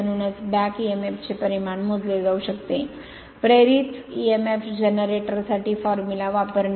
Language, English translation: Marathi, So, that is why the magnitude of back emf can be calculated by using formula for the induced emf generator